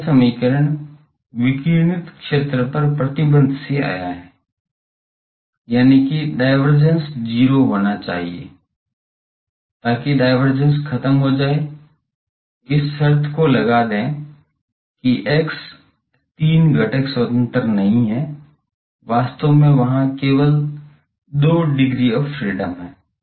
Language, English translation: Hindi, This equation came from that the restriction on the radiated field; that is divergence should be 0, so that vanishing divergence put this condition that x, three components are not independent actually there is only 2 degrees of freedom there ok